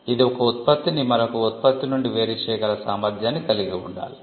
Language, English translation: Telugu, It should be distinguishable it should be capable of distinguishing one product from another